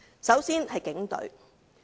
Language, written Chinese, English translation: Cantonese, 首先是警隊。, The first one is the Police Force